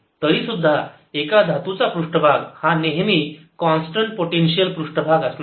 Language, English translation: Marathi, however, a metallic surface, his is always constant potential surface